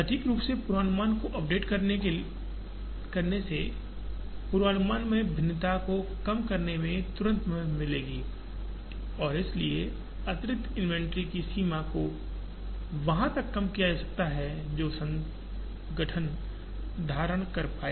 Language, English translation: Hindi, Accurately updating the forecast would immediately help in reducing the variation in the forecast and therefore, reduce the extent of extra inventory that organizations would hold